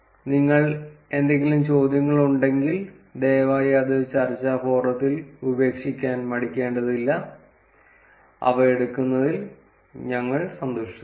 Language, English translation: Malayalam, If you have any questions, please feel free to drop it at the discussion forum, and we will be happy to take them